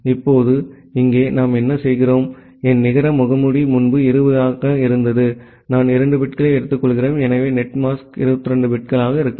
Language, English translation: Tamil, Now, here what we are doing my net mask would be earlier it was 20, I am taking to 2 bits, so the netmask could be 22 bits